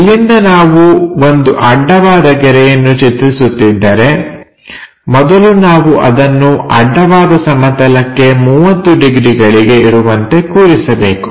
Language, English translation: Kannada, So, from here if we are going to make a horizontal line, first we have to locate 30 degrees to horizontal plane